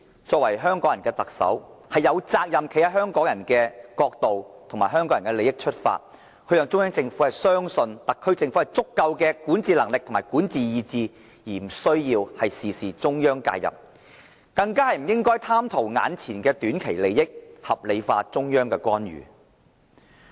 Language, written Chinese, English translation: Cantonese, 作為香港人的特首，她有責任站在香港人的角度，由香港人的利益出發，讓中央政府相信特區政府有足夠的管治能力和管治意志，無需中央事事介入，更不應貪圖短期利益，把中央的干預合理化。, As the Chief Executive of Hong Kong she must adopt the perspective of Hong Kong people bear in mind the interests of the people and convince the Central Government that the SAR Government possesses all the necessary ability and determination to rule and hence preclude the Central Authorities intervention into Hong Kong affairs on a micro level . On top of this the SAR Government should not justify the intervention from the Central Authorities just for the sake of short - term interests